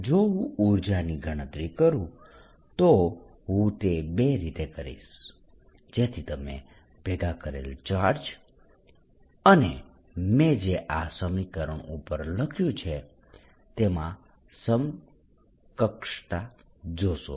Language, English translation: Gujarati, if i would calculate the energy, i will do it in two so that you see the equivalence of assembling the charges and this expression that i have written above